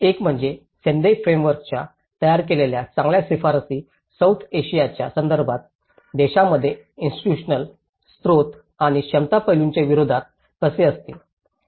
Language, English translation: Marathi, One is how the build back better recommendations of the Sendai Framework will hold up against the institutional, resource and capacity aspects in the countries, context of South Asia